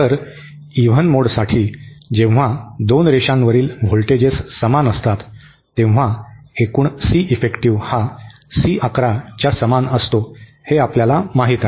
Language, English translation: Marathi, So, in this case for the even mode, when the voltages on both the lines are the same, total Ceffective we saw is equal to C 11